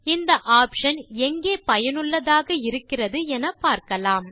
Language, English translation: Tamil, Let us see where this options are useful